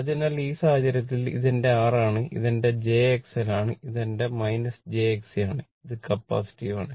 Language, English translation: Malayalam, So, in this case this is my R, this is my jX L and this is my minus jX C, it is capacitive